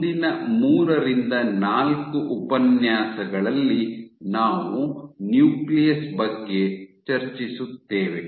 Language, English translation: Kannada, So, over the next 3, 4 lectures we will discuss about the nucleus